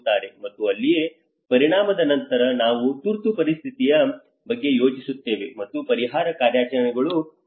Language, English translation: Kannada, And that is where after the impact we think about the emergency, and the relief operations works on